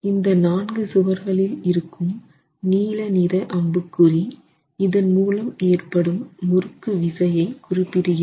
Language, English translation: Tamil, The blue arrow marks that you see in the four walls correspond to the torsional shear due to this effect